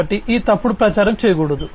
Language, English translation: Telugu, So, this, this falsification should not be done